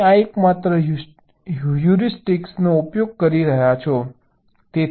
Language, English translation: Gujarati, that is the only heuristic you are using